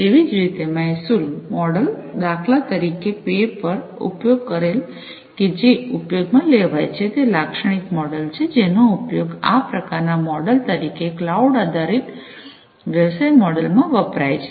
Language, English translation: Gujarati, Likewise, the revenue model, for instance the whether the pay per used model is going to be used, this is the typical model that is used this kind of revenue model is typically used in the cloud based business model